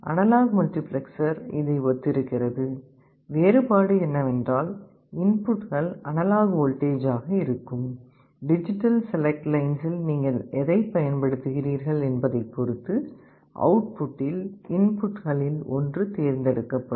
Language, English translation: Tamil, Analog multiplexer is similar, the difference is that the inputs are analog voltages; one of the input will be selected at the output depending on what you are applying at the digital select input lines